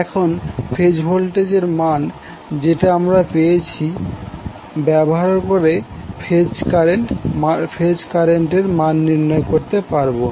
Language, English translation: Bengali, Now from the voltage values which we got, we can find out the value of the phase current